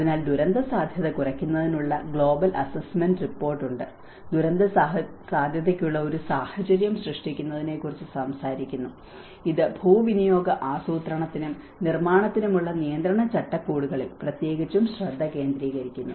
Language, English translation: Malayalam, So, there is global assessment report on disaster risk reduction talks about creating an enabling environment for disaster risk and this especially focus on the regulatory frameworks for land use planning and building